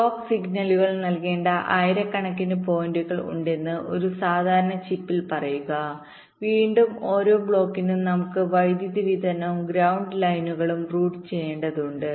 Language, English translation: Malayalam, say, in a typical chip, there can be thousands of points where the clock signals should be fed to, and again, for every block we need the power supply and ground lines to be routed ok